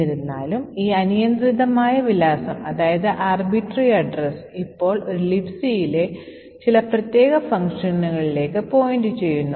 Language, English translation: Malayalam, However, this arbitrary address is now pointing to some particular function in a LibC